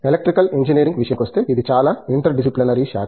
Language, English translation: Telugu, As far as Electrical Engineering is concerned, it’s a highly interdisciplinary branch